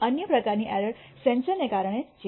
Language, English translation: Gujarati, The other kind of errors is due to the sensor itself